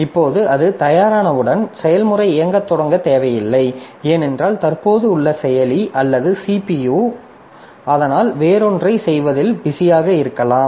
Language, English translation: Tamil, Now as soon as it is ready, so it is not required that the process will start executing because at present the processor or the CPU that we have so that may be busy doing something else